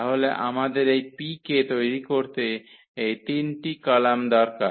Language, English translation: Bengali, So, we need this 3 columns to fill the matrix P